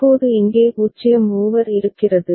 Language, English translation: Tamil, Now there is a 0 over here ok